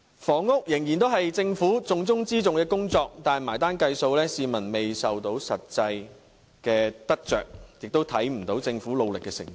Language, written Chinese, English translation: Cantonese, 房屋仍然是政府重中之重的工作，但埋單計數，市民卻未能感受到實際得着，亦看不到政府努力的成果。, The Government still attaches great importance to housing but in terms of effectiveness the people are yet to benefit from the Governments efforts without sharing the fruits at all